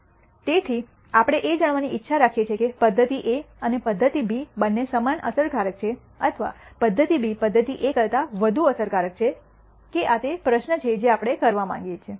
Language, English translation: Gujarati, So, we want to know whether method A and method B are both equally effective or method B is more effective than method A